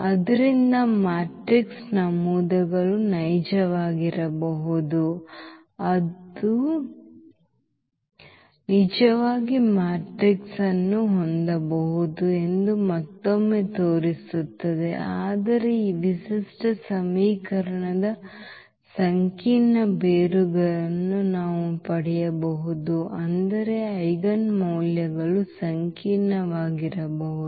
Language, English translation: Kannada, So, that again shows that the matrix entries may be real we can have a real matrix, but still we may get the complex roots of this characteristic equation meaning the eigenvalues may be complex